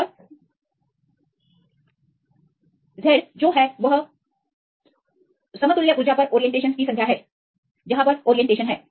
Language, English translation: Hindi, And Z is the number of orientations at equivalent energy where places where you can have the orientations